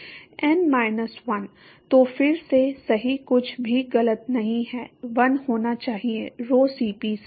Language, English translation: Hindi, So, again right nothing is wrong should be 1 by rho Cp